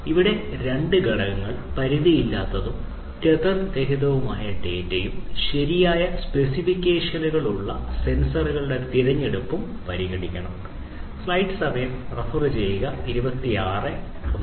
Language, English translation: Malayalam, So, here two factors should be considered obtaining seamless and tether free data and selection of sensors with proper specifications